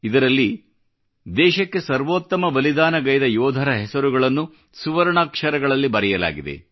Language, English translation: Kannada, This bears the names of soldiers who made the supreme sacrifice, in letters of gold